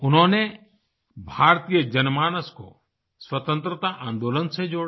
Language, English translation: Hindi, He integrated the Indian public with the Freedom Movement